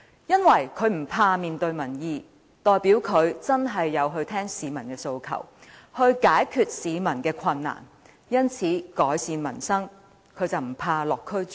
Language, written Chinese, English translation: Cantonese, 因為這代表他不害怕面對民意，肯真正聆聽市民的訴求，以期解決他們的困難，改善民生。, Because this means that he or she is not afraid of public opinions . He or she is willing to listen to the aspirations of the people with a view to solving their problems and improving peoples livelihood